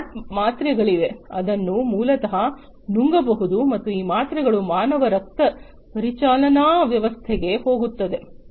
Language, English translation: Kannada, There are smart pills which basically can be swallowed and these pills basically go to the human circulatory system